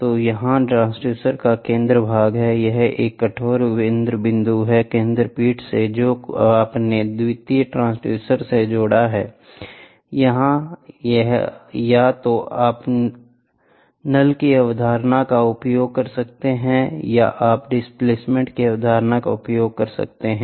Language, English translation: Hindi, So, here is the center portion of the transducer, ok, a rigid centerpiece is there, from the centerpiece you have attached to the secondary transducer either here you can use the concept of null, or you can use the concept of displacement